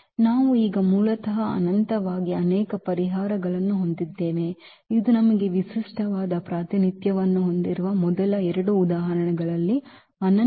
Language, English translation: Kannada, We have basically infinitely many solutions now so, this is a non unique representation in the first two examples we have a unique representation